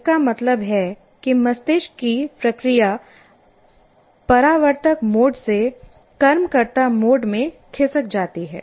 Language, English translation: Hindi, That means the brain process shifts from what is called reflective mode to reflexive mode